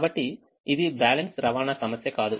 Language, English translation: Telugu, so this is not a balance transportation problem